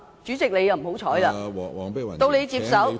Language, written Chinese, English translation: Cantonese, 主席，你運氣不好，到你接手......, Chairman you are out of luck . When you took over